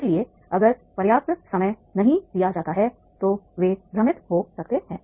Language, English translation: Hindi, So therefore, if it is not enough time is given, then they may get confused